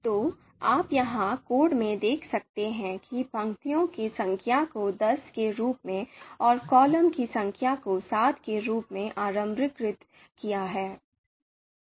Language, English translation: Hindi, So you can see here in the code that we have here number of row is initialized as 10 and number of column is initialized as you know seven